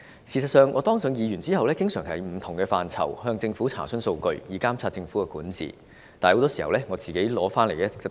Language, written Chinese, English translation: Cantonese, 事實上，我當上議員後，經常就不同範疇向政府查詢數據，以監察政府管治，但很多時候我是得不到答案。, In fact since I became a Member of the Legislative Council I frequently demand the Government for statistics on various matters with a view to monitoring its governance . But too often I cannot get an answer